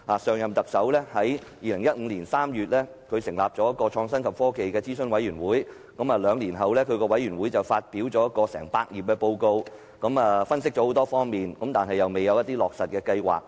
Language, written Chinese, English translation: Cantonese, 上任特首於2015年3月成立創新及科技諮詢委員會，兩年後，該委員會發表一份長達百頁的報告，作出詳細分析，但沒有提到落實計劃。, The former Chief Executive set up the Advisory Committee on Innovation and Technology in March 2015 and two years later the Committee published a 100 - page report containing detailed analyses but nothing was mentioned about implementation plans